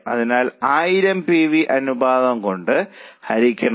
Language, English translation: Malayalam, So, 1,000 divided by PV ratio